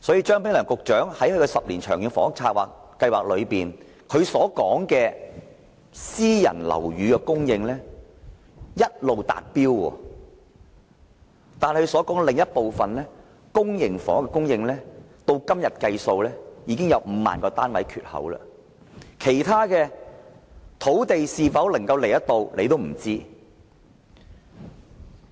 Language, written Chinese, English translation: Cantonese, 張炳良局長在其10年《長遠房屋策略》中說，私人樓宇供應一直達標，但公營房屋的供應，至今已有5萬個單位的缺口，能否提供土地興建其他樓宇也是未知之數。, In the 10 - year Long Term Housing Strategy Secretary Prof Anthony CHEUNG stated that while the private housing supply target has been met there was currently a shortfall of 50 000 public housing units . It was still uncertain if land was available for the construction of other buildings